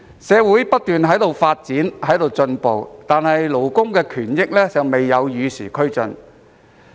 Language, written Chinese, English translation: Cantonese, 社會不斷發展進步，但勞工權益卻未能與時俱進。, Despite continuous social progress labour interests failed to keep pace with the times